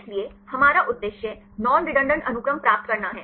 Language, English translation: Hindi, So, our aim is to get the non redundant sequences